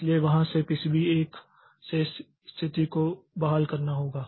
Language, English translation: Hindi, So, from there it has to restore the state from PCB 1